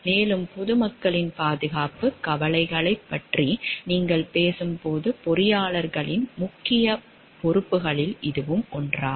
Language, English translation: Tamil, And that is the one of the major major responsibilities of the engineers when you are talking of the safety concerns of the public at large